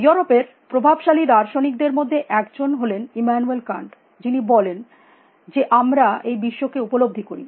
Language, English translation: Bengali, Immanuel Kant one of the most influential philosophers a from Europe, who said that we perceive the world